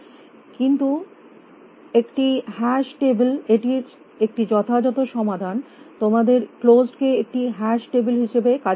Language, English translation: Bengali, But a hash table is the perfect solution to this you must implement closed as the hash table